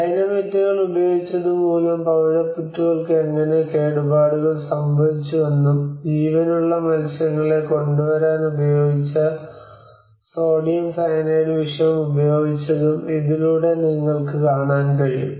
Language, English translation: Malayalam, With this what you can see that how the coral reefs have been damaged and because of using the Dynamites and poisoned by sodium cyanide which used for bringing in live fish